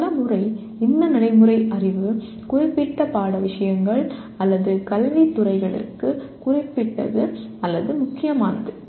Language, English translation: Tamil, And many times, these procedural knowledge is specific or germane to particular subject matters or academic disciplines